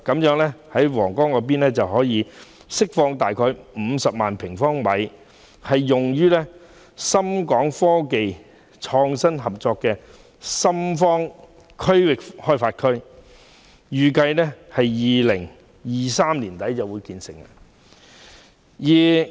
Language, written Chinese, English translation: Cantonese, 因此，將可釋放約50萬平方米土地，以興建深港科技創新合作區的深方科創園區，預計會於2023年年底建成。, As such about 500 000 sq m of land will be released for the construction of the Shenzhen Innovation and Technology Zone of the Shenzhen - Hong Kong Innovation and Technology Co - operation Zone which is expected to be completed at the end of 2023